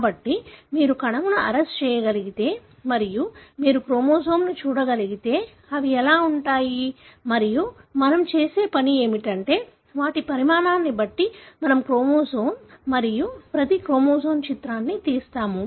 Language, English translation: Telugu, So, if you are able to arrest the cell and you are able to view the chromosome, this is how they would look like and for a human what we do is, we take a picture of the chromosome and each chromosome, depending on their size, we order them